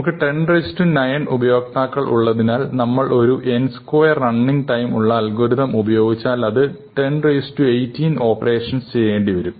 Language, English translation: Malayalam, Since we have 10 to the 9 subscribers, if we run an n square algorithm, this will take 10 to the 18 operations because 10 to the 9 square is 10 to the 18